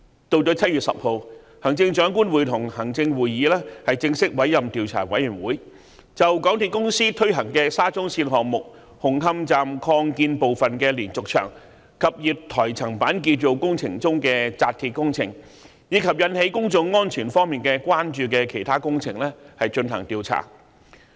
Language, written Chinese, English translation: Cantonese, 到了7月10日，行政長官會同行政會議正式委任調查委員會，就港鐵公司推行的沙中線項目紅磡站擴建部分的連續牆及月台層板建造工程中的扎鐵工程，以及引起公眾安全方面關注的其他工程，進行調查。, 86 to look into the incident thoroughly . On 10 July the Chief Executive in Council formally appointed a Commission of Inquiry to inquire into the steel reinforcement fixing works and any other works which raise concerns about public safety in respect of the diaphragm wall and platform slab construction works at the Hung Hom Station Extension under the SCL Project implemented by MTRCL